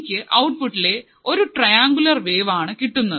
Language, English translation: Malayalam, I will get the triangular wave at the output